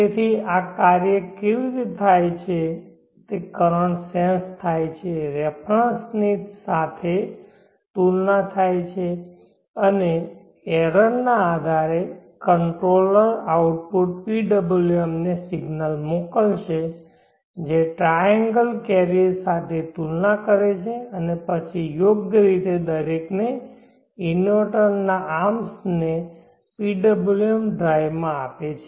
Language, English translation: Gujarati, So how this work is that the currents are sensed compared with a reference and based on the error the controller output will send the signal to the PWM which compares with the triangle carrier and then appropriately gives the PWM drive to each of the arms of the inverter